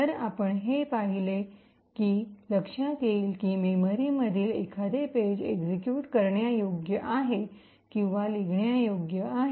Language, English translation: Marathi, So, what we have seen is that, this bit would ensure that a particular page in memory is either executable or is writeable